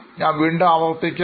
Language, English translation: Malayalam, I will just repeat again